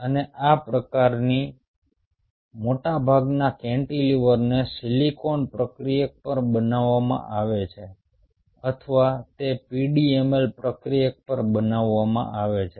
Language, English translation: Gujarati, and most of these kind of cantilevers are made on silicon substrate or they are made on pdml substrate